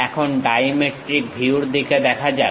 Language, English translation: Bengali, Now, let us look at dimetric view